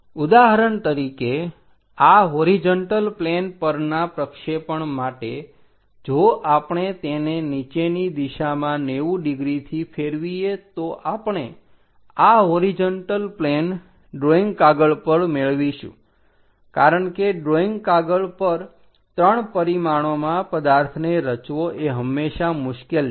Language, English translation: Gujarati, For example, for this horizontal plane projection if we are rotating it downwards 90 degrees, we get this horizontal plane on the drawing sheet because on the drawing sheet constructing 3 dimensional objective is always be difficult